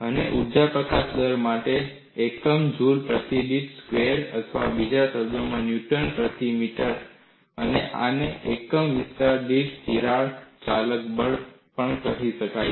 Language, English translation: Gujarati, And the units for energy release rate is joules per meter squared, or in other words newton per meter, and this can also be called as crack driving force per unit extension